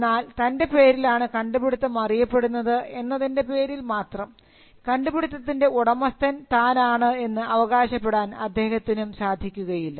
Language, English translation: Malayalam, But just because you have a right to be mentioned as an inventor, it does not mean that you own the invention